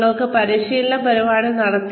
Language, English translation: Malayalam, You made a training program